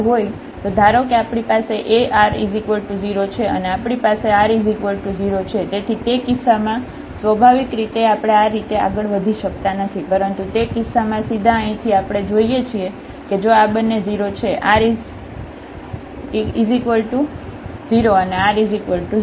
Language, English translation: Gujarati, So, suppose we have a r 0 and we have t is equal to also 0, so in that case naturally we cannot proceed in this way, but in that case directly from here we see that if these 2 are 0 r is 0 and t is 0